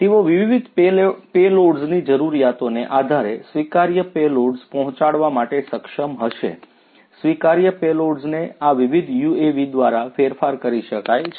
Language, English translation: Gujarati, They would be capable of conveying adaptable payloads depending on the requirements you know different payloads could be adjusted adaptable payloads could be carried by these different UAVs